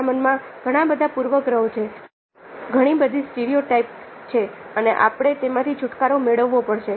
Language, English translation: Gujarati, we have a lot of prejudices, lot of stereotypes within our minds and we have to get rid of them